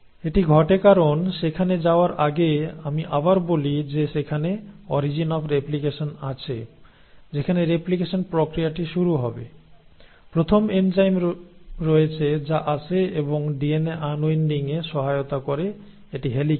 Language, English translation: Bengali, Now that happens because, so let me before I get there let me again tell you the there is origin of replication that the process of replication will start; you have the first enzyme which comes in and which helps you in unwinding the DNA which is the helicase